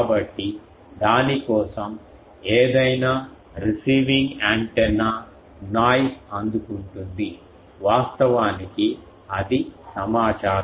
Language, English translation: Telugu, So, for that whatever antenna is receiving in the noise that is actually information